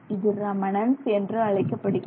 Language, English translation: Tamil, So, this is called reminence